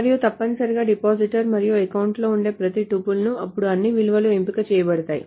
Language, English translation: Telugu, And essentially every tuple that is in depositor and account and all the values are selected